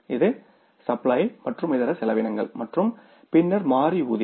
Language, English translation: Tamil, This is the supplies and miscellaneous and then is the variable payroll